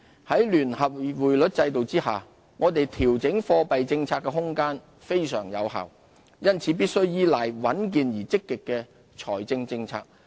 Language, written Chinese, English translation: Cantonese, 在聯繫匯率制度下，我們調整貨幣政策的空間非常有限，因此必須依賴穩健而積極的財政政策。, Instead we should stay alert to the challenges ahead . Under the linked exchange rate system there is very limited room to adjust our monetary policy